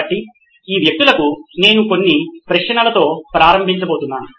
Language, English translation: Telugu, So over to these people I am going to start off with a couple of questions